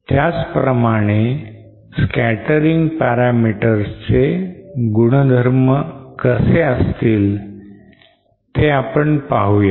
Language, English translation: Marathi, Similarly let us try to see what happens for the scattering parameters